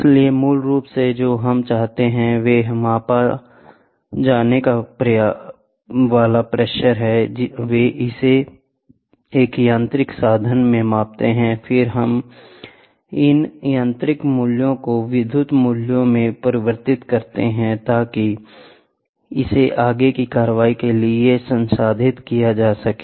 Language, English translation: Hindi, So, basically what we wanted is the pressure is to be measured, they measure it in a mechanical means and then these mechanical values are converted into electrical value so that it can be processed for further action